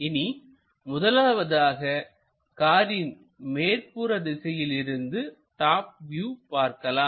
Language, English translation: Tamil, So, let us first of all look at top view of a car